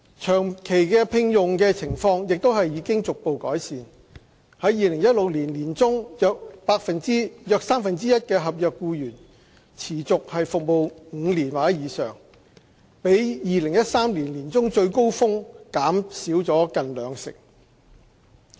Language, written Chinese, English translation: Cantonese, 長期聘用的情況亦已逐步改善 ，2016 年年中約三分之一合約僱員持續服務5年或以上，比2013年年中最高峰減少近兩成。, The situation of permanent appointment has improved gradually . In mid - 2016 about one third of the NCSC staff was with a length of continuous service of 5 years or more which has dropped by 20 % when compared with the peak in mid - 2013